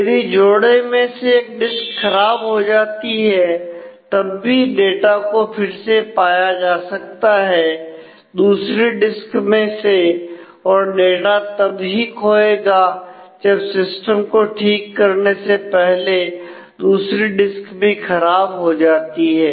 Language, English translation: Hindi, So, if one of the disk in the pair would fail, then the data can still be recovered from the other and the data loss would occur if a disk fail, but the mirror disk also has to fail before the system has been repair